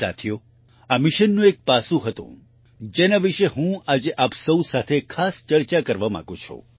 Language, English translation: Gujarati, Friends, there has been one aspect of this mission which I specially want to discuss with all of you today